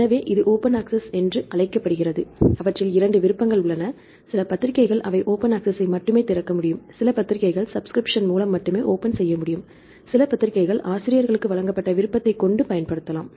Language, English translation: Tamil, So, this is called open access right there are two options, some journals they can only open access, some journals they can only sub by subscription some journals they have the option given to the authors